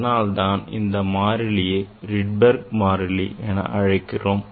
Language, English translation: Tamil, that is why this constant now it is called Rydberg constant today we will find out we will determine this Rydberg constant